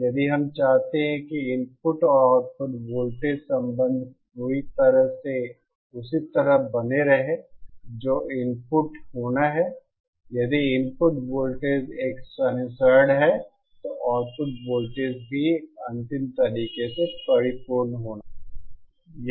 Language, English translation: Hindi, If we want the input and output voltage relationships to remain perfectly same that are to be the input, if the input voltage is a sinusoid then the output voltage should also be a perfect final way